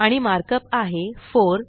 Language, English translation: Marathi, And the markup is:, 4